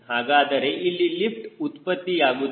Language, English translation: Kannada, so there will be a lift generated here